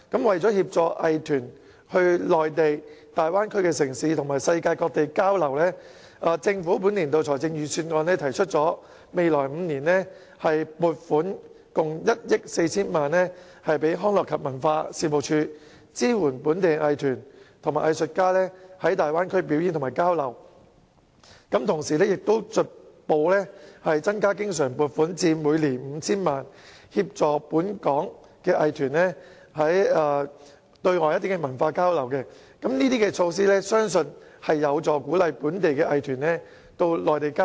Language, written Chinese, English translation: Cantonese, 為協助藝團往內地大灣區城市及世界各地交流，政府在本年度財政預算案提出未來5年撥款共1億 4,000 萬元予康樂及文化事務署，支援本地藝團及藝術家在大灣區表演和交流；同時將逐步增加經常撥款至每年 5,000 萬元，協助本港藝團對外進行文化交流，相信上述措施有助鼓勵本地藝團往內地交流。, In order to assist local arts groups in participating in exchanges in the Bay Area cities on the Mainland and other places around the world the Government has proposed in the Budget this year to allocate a total of 140 million to the Leisure and Cultural Services Department LCSD in the coming five years to help Hong Kong arts groups and artists perform and hold exchanges in the Bay Area cities . The Government will also progressively increase the recurrent yearly provision to 50 million to support Hong Kong arts groups for outbound cultural exchanges . I believe that the above mentioned measures can help encourage local arts groups to hold exchanges on the Mainland